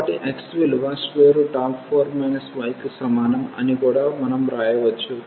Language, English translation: Telugu, So, x is 4